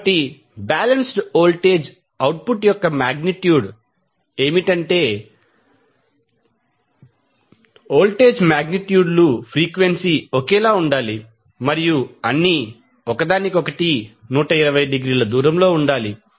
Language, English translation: Telugu, So, the criteria for balanced voltage output is that the voltage magnitudes should be same frequency should be same and all should be 120 degree apart from each other